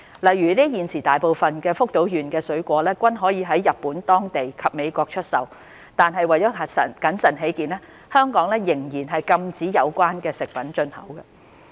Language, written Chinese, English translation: Cantonese, 例如，現時大部分福島縣的水果均可在日本當地及美國出售，但為謹慎起見，香港仍然禁止有關食品進口。, For instance vast majority of the fruits from Fukushima can be put on sale in Japan and US currently . However for prudence sake Hong Kong still prohibits their import